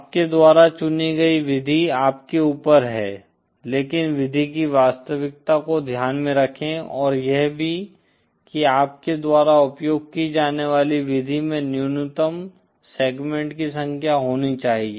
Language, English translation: Hindi, The method that you choose is up to you but keep in mind the realizeability of the method and also it should whichever method you use should contain the minimum number of segments